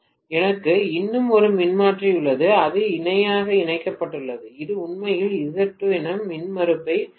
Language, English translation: Tamil, I have one more transformer which has been connected in parallel which is actually having an impedance of Z2